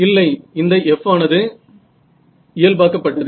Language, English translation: Tamil, No, this F is normalized you know